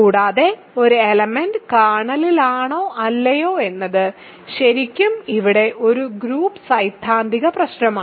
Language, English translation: Malayalam, And, the reason that is exactly the same is because whether something is in the kernel or not is really a group theoretic issue here